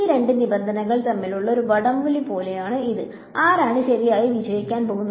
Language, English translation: Malayalam, So, it is like a tug of war between these two terms and who is going to win right